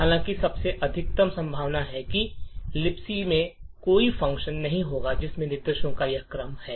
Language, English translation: Hindi, However, most likely there would not be a function in libc which has exactly this sequence of instructions